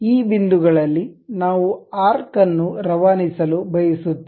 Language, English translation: Kannada, These are the points through which we would like to pass an arc